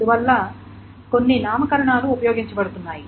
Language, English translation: Telugu, So that is why there are some nomenclatures that are used